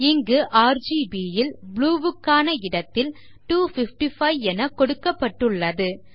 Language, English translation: Tamil, RGB combination where blue value is set to 255